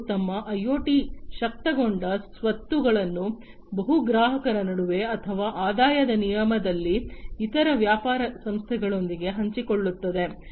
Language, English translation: Kannada, And share their IoT enabled assets among multiple customers or with other business entities in exchange of revenue